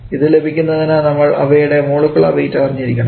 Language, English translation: Malayalam, To get the mole fraction we need to know their molecular weights